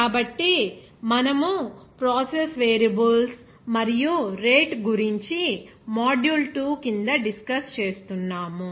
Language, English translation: Telugu, So, we are discussing about process variables and rate under module 2